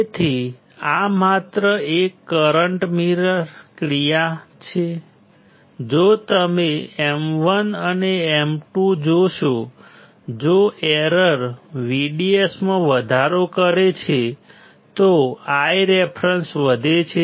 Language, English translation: Gujarati, So, this is just a current mirror action, if you see M 1 and M 2 , if error increases my VDS my I reference increases